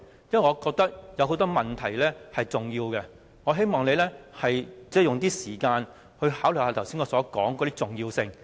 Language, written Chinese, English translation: Cantonese, 因為我覺得有很多問題是重要的，我希望你花點時間考慮我剛才提出的事項的重要性。, As I consider many issues important I hope that you will spend more time considering the importance of the aforementioned issues